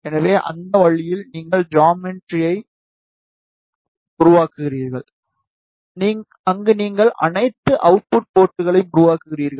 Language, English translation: Tamil, So, in that way, you will make the geometry, where you will generate all the output ports